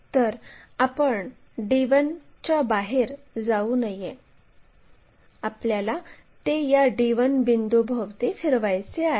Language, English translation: Marathi, So, one should not move out of d 1, about this d 1 point we have to rotate it